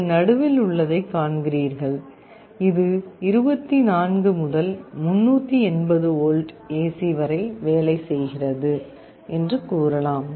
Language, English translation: Tamil, You see this is the middle one, it says that it works from 24 to 380 volts AC